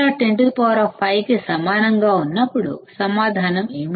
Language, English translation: Telugu, When CMRR is equal to 10 raised to 5, what is the answer